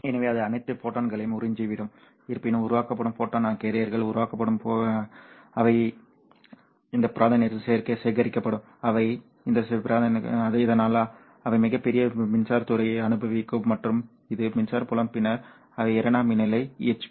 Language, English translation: Tamil, However, the photon carriers that are generated, the photocarray that are generated, they will be collected in this region, they will be sent into this region so that they will experience a very large electric field and this electric field will then cause them to generate the secondary EHPs